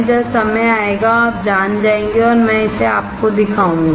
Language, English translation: Hindi, When the time comes, you will know and I will show it to you